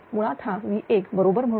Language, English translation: Marathi, So, basically it is equal I 1